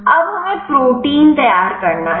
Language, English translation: Hindi, Now, we have to prepare the protein